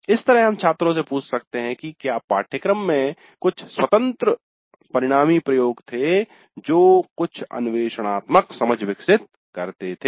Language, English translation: Hindi, So we can ask the students the course had some open ended experiments allowing some exploratory learning